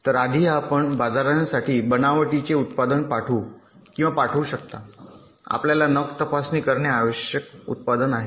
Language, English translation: Marathi, so before you can send or ship a product you have fabricated to the market, you need to thoroughly test the product